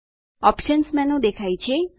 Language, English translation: Gujarati, The Options menu appears